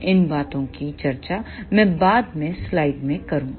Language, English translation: Hindi, I will discuss these things later in the slides